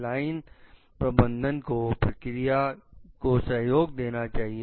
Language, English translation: Hindi, Line managers must support their procedures